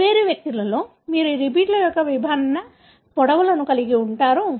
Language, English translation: Telugu, So, in different individuals, you are going to have different lengths of these repeats